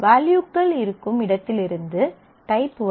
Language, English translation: Tamil, The type from where it is values come